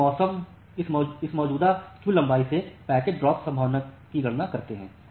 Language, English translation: Hindi, So, we have to calculate the packet dropping probability here